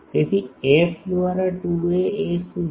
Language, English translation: Gujarati, So, f by 2 a is what